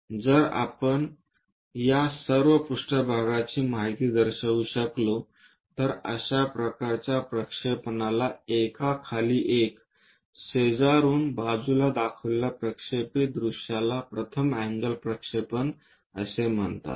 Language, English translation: Marathi, If we can show all these plane information, the projected views showing side by side one below the other that kind of projection is called first angle projection